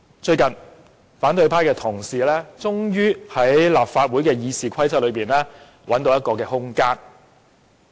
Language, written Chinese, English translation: Cantonese, 最近，反對派同事終於在立法會《議事規則》內找到空間。, Recently fellow colleagues of the opposition camp finally identified a gap in the Rules of Procedure RoP of the Legislative Council